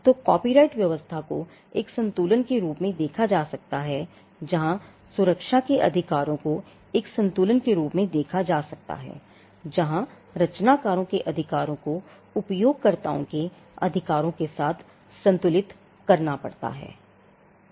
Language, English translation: Hindi, So, copyright regime can be seen as a balance where the rights of the protect can be seen as a balance where the rights of the creators have to be balanced with the rights of the users